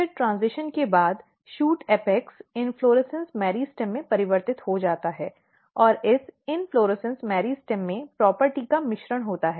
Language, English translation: Hindi, Then after transition the shoot apex get converted into inflorescence meristem and this inflorescence meristem has a mixture of property